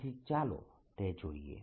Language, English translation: Gujarati, let us understand that